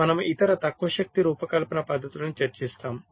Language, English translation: Telugu, ok, so other low power design techniques